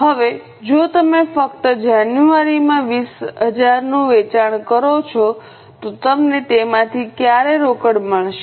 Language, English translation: Gujarati, Now if you just take the sale of January, 20,000, when will you receive cash from it